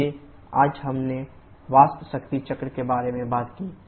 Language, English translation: Hindi, So today we talked about the vapour power cycle